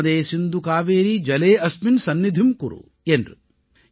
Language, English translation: Tamil, Narmade Sindhu Kaveri Jale asminn Sannidhim Kuru